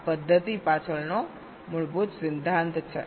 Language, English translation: Gujarati, this is the basic principle behind this method